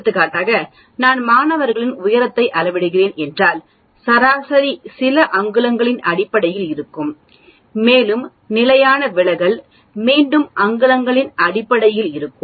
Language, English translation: Tamil, Otherwise what happens is any data for example, if I am measuring heights of students the mean will be in terms of some inches and the standard deviation again will be in terms of inches